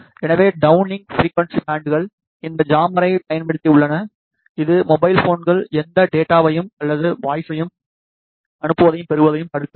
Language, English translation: Tamil, So, the downlink frequency bands are jammed using this jammer which prevent the mobile phones from sending and receiving any data or voice